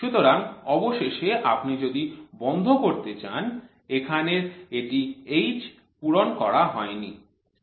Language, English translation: Bengali, So, finally if you want to put the closure so the H you are not filled up 1